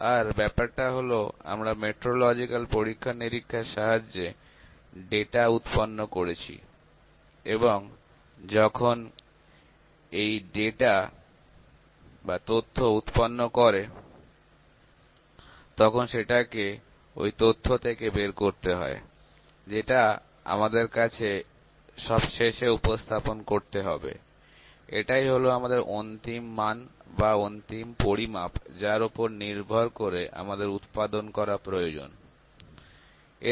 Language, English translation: Bengali, And the thing is that we generated data through metrological experiments and when the data is generated some information is to be extracted or obtained from this data; that we have to present finally, this is our final reading or this is our final measurement based on which we need to manufacture